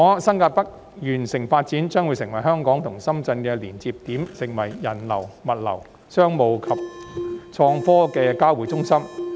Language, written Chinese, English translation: Cantonese, 新界北完成發展後，將會成為香港與深圳的連接點，是人流、物流、商務及創科業的交匯中心。, Upon development New Territories North will become the connecting point between Hong Kong and Shenzhen and serve as a hub for the convergence of people goods flow business and innovation